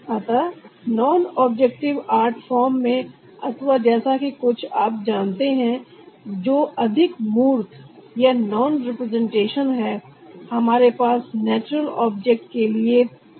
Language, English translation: Hindi, so in a non objective art form or something you know which is more abstract or non representation, we have no reference to natural objects, so the color is also without reference